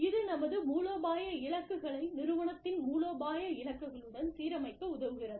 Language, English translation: Tamil, And, that helps us align our strategic goals, with the strategic goals of the organization